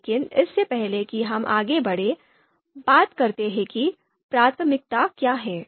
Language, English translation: Hindi, So before we move ahead, let’s talk about what is priority